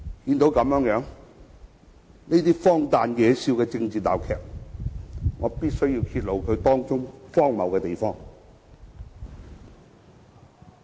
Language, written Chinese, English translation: Cantonese, 看到如此荒誕、惹笑的政治鬧劇，我必須揭露其中荒謬的地方。, Seeing such a ridiculous and hilarious political farce I must bring the absurdities therein to light